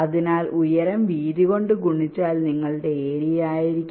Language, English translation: Malayalam, so just height multiplied by width will be your area